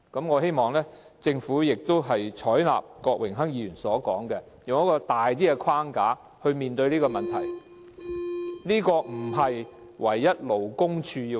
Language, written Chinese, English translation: Cantonese, 我希望政府採納郭榮鏗議員的意見，以較闊的框架處理這個問題，並不應該單單由勞工處處理。, I hope the Government will handle this issue under a broader framework as suggested by Mr Dennis KWOK instead of leaving it to the Labour Department alone